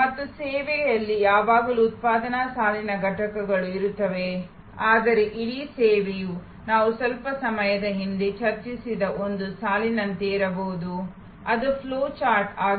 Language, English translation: Kannada, And there will be always production line components in the service, but the whole service maybe very much like a line that we discussed a little while back, it is a flow chart